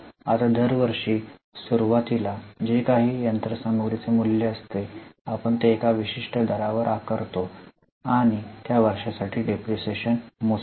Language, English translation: Marathi, Now, every year whatever is a value of machinery at the beginning, we charge it at a particular rate and calculate the depreciation for that year